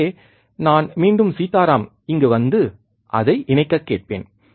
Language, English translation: Tamil, So, I will ask again Sitaram to come here and connect it